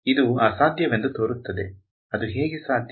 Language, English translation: Kannada, It seems impossible, how is it possible right